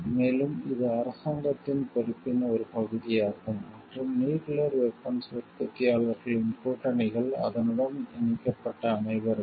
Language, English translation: Tamil, And it is a part of the responsibility of the government and the alliances the nuclear weapon manufacturers everyone connected to it